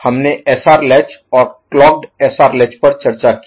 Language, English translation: Hindi, We discussed SR latch and clocked SR latch